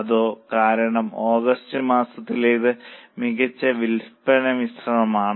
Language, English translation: Malayalam, Yes, the reasoning is because of better sales mix in the month of August